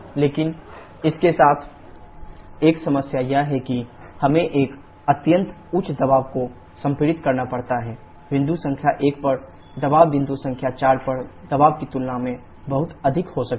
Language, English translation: Hindi, But one problem with this is that we have to compress to an extremely high pressure, the pressure at point number 1 can be much, much larger than pressure at point number 4